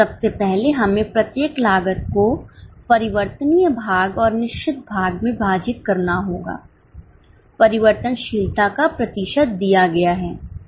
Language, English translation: Hindi, First of all, we will have to divide each cost into variable portion and fixed portion